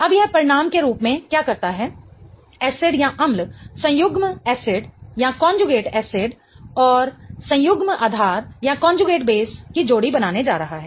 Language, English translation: Hindi, Now, what it forms as a result is acid is going to form a pair of conjugate acid and conjugate base